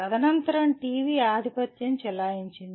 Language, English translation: Telugu, Subsequently TV was a dominant thing